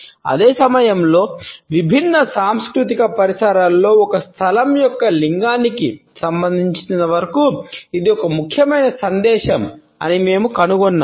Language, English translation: Telugu, And at the same time we find that it is an important message as far as the gendering of a space in different cultural milieus is concerned